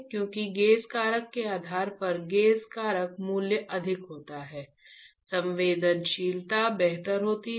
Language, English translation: Hindi, Because depending on the gauge factor of gauge factor value is higher the sensitivity is better right